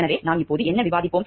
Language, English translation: Tamil, So, what we will discuss now